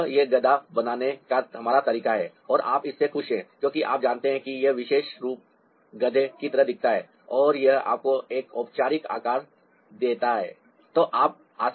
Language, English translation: Hindi, so that is our way of creating a donkey and you are happy with this because you know this particular form looks more like a donkey and it also gives you a normal shape